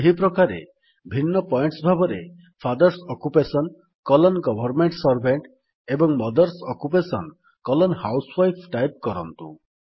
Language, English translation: Odia, Similarly, we type FATHERS OCCUPATION colon GOVERNMENT SERVANT and MOTHERS OCCUPATION colon HOUSEWIFE as different points